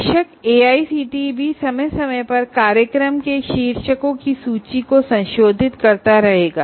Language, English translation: Hindi, Of course, AICT also from time to time will keep modifying the list of program titles